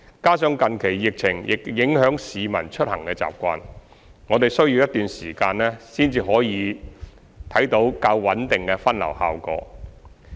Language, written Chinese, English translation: Cantonese, 加上近期疫情亦影響市民出行習慣，我們需要一段時間才可以看到較穩定的分流效果。, In addition as the passengers travelling patterns have been affected by the recent novel coronavirus outbreak we need more time to identify if there is a more stable diversion effect